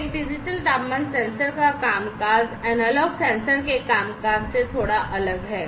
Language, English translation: Hindi, The functioning of a digital temperature sensor is bit different from the way, the analog sensors work